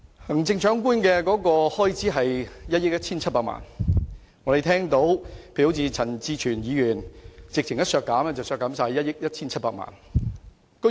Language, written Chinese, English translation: Cantonese, 行政長官的開支是1億 1,700 萬元，陳志全議員直接提出將之全數削減，即削減1億 1,700 萬元。, The expenditure of the Chief Executives Office is 117 million and Mr CHAN Chi - chuen simply proposes to deduct the whole sum ie . a reduction of 117 million